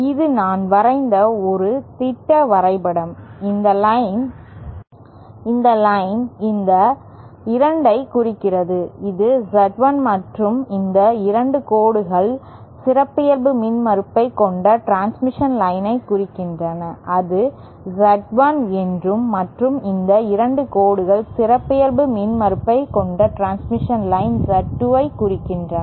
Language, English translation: Tamil, You see, this is a schematic diagram that I have just drawn and this line represents these 2, this is Z1 and these 2 lines represent the transmission lines having characteristic impedance Z1 and these 2 lines represent the transmission lines having characteristic impedance Z2